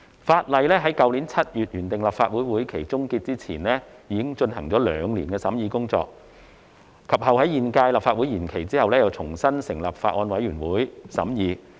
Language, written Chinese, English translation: Cantonese, 《條例草案》於去年7月原訂立法會會期終結前，已進行了兩年的審議工作，及後在現屆立法會延任後，重新成立法案委員會再度審議。, The Bill had been under scrutiny for two years before the end of the legislative session originally scheduled in July last year . Upon extension of the current term of the Legislative Council a bills committee was subsequently re - established to scrutinize the Bill again